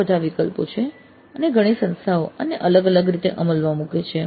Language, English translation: Gujarati, Several options do exist and several institutes practice this in different ways